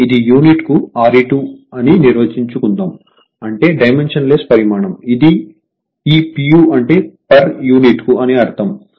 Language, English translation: Telugu, That means, let us define this is R e 2 per unit; that means dimensionless quantity, this p u means per unit right per unit